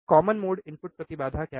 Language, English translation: Hindi, What is the common mode input impedance